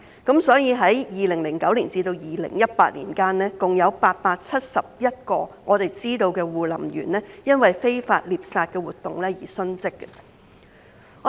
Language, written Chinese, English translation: Cantonese, 據悉，在2009年至2018年間，共有871位護林員因非法獵殺活動而殉職。, Between 2009 and 2018 a total of 871 rangers were reportedly killed by poaching while on duty